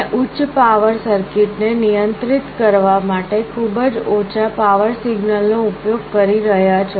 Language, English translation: Gujarati, You are using a very low power signal to control a higher power circuit